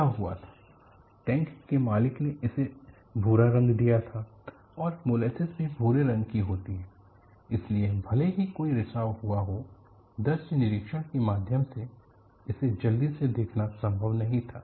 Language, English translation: Hindi, What happened was the owner of the tank has painted it brown; molasses is also brown in color; so, even if there had been a leak, it was not possible to quickly see it through visual inspection